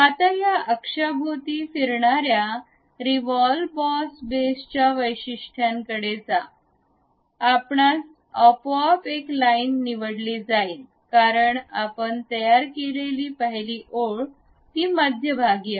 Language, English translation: Marathi, Now, go to features revolve boss base around this axis we would like to have which is automatically selected as line 1, because the first line what we have constructed is that centre line